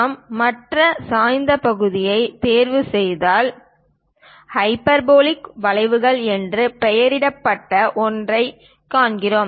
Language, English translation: Tamil, If we are picking other inclined section, we see something named hyperbolic curves